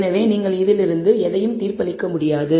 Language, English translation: Tamil, So, from this you cannot judge anything